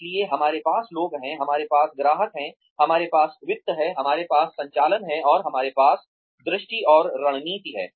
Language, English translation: Hindi, So, we have people, we have customers, we have finances, we have operations, and we have the vision and strategy